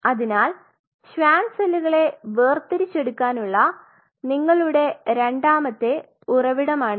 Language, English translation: Malayalam, So, now, that is your second source to isolate the Schwann cells